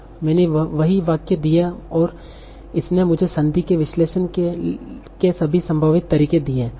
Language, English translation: Hindi, So I gave the same sentence there and it gave me all the possible ways of analyzing this sentence